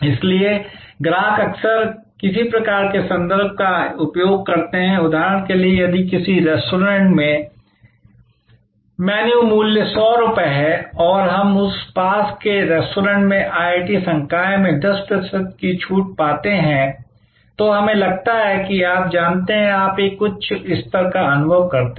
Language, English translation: Hindi, So, customer often use a some kind of reference, for example, if the menu price is 100 in a restaurant and we as IIT faculty get of 10 percent discount in a nearby restaurant, then we feel you know that, you feel a higher level of satisfaction